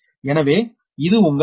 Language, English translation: Tamil, so that is your